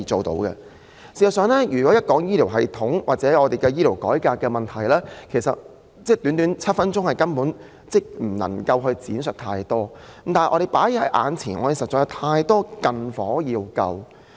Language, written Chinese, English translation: Cantonese, 事實上，對於醫療系統或醫療改革的問題，我實在難以在短短7分鐘的發言時間作全面闡述，但目前確實有太多"近火"需要撲滅。, It is actually difficult for me to give a comprehensive account on the problems with the healthcare system or healthcare reform within the short span of my seven - minute speaking time . But honestly there are many nearby fires that must be extinguished